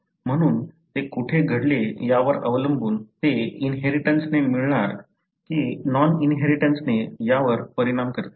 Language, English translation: Marathi, So, depending on where it had happened, it affects whether it will be inherited or non inherited